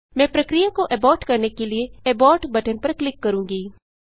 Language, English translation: Hindi, I will click on Abort button to abort the process